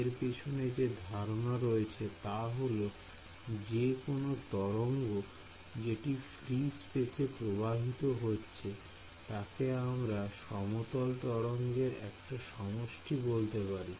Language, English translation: Bengali, So, the general idea behind this is that any wave that is travelling in free space I can write as a collection of plane waves ok